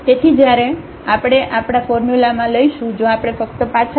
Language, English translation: Gujarati, So, when we take the in our formula if we just go back